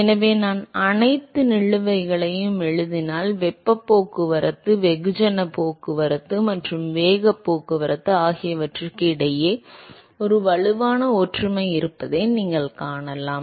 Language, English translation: Tamil, So, if I write down all the balances, so you can see that there is a strong similarity between the heat transport, mass transport and the momentum transport